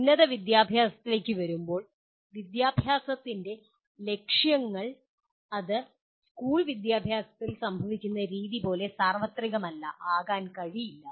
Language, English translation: Malayalam, Coming to higher education, we are, the aims of higher education cannot be and are not that universal like the way it happens in school education